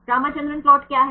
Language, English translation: Hindi, What is Ramachandran plot